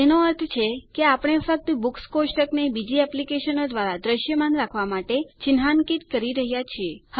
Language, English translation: Gujarati, Meaning, we are marking only the Books table to be visible to other applications